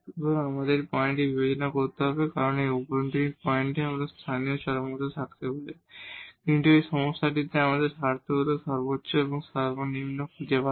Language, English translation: Bengali, So, we have to consider this point because we can have local extrema at this interior point, but in this problem we our interest is to find absolute maximum and minimum